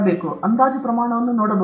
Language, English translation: Kannada, Can we look at approximal scale